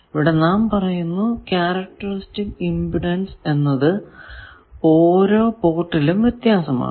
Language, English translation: Malayalam, Now, let us say that characteristics impedance of various ports are different